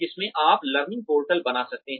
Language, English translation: Hindi, In which, you could have learning portals